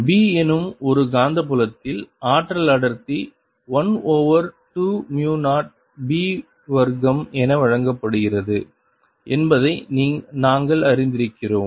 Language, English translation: Tamil, we have learnt that energy density in a magnetic field b is given as one over two, mu zero, b square